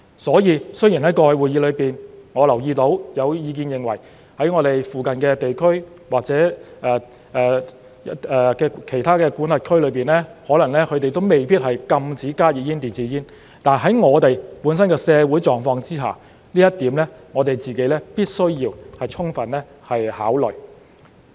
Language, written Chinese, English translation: Cantonese, 所以，雖然在過去的會議中，我留意到有意見認為我們附近的地區或其他管轄區可能未必禁止加熱煙、電子煙，但在我們本身的社會狀況之下，這一點是我們必須要充分考慮的。, In previous meetings I noticed there were views that a full ban on e - cigarettes and HTPs might not be implemented in our neighbouring regions or other jurisdictions but we must fully consider this point in the light of our own social circumstances